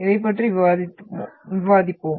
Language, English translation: Tamil, We will discuss about this one